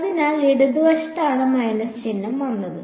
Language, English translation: Malayalam, So, that was the left hand side that minus sign came because